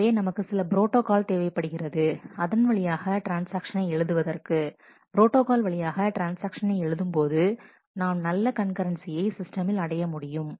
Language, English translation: Tamil, So, we need to have a certain protocol through which that, transactions might be written, a protocol through which the transactions must operate so, that we can achieve good concurrency in the system